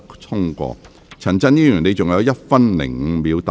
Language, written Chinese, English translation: Cantonese, 陳振英議員，你還有1分5秒答辯。, Mr CHAN Chun - ying you still have one minute five seconds to reply